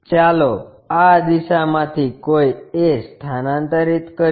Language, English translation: Gujarati, Let us transfer a from this direction